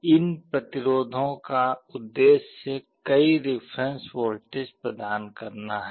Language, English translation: Hindi, These resistances serve the purpose of providing several reference voltages